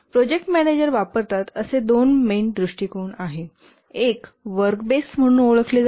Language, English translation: Marathi, There are two main approaches that the project manager uses